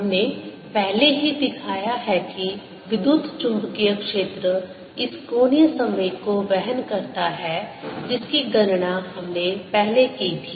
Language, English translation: Hindi, we have already shown that the electromagnetic field carries this angular momentum which we calculated earlier